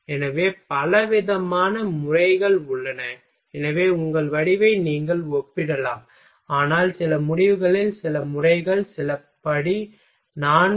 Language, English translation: Tamil, So, there are variety of variety of methods are available so, that you can compare your result, but few results few methods are that is the step four ok